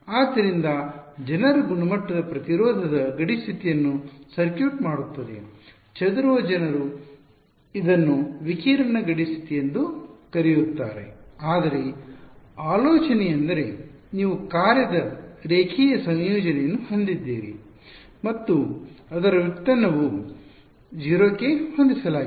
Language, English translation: Kannada, So, circuits people quality impedance boundary condition, scattering people call it radiation boundary condition, but the idea is because you have a linear combination of the function and its derivative being set to 0 right